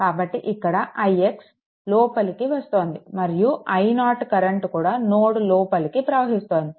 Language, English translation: Telugu, So, this is your i x entering into and this i 0 current also entering here right